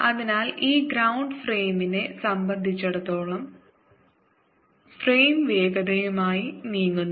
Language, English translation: Malayalam, so, with respect to the is ground frame, is frame is moving with velocity v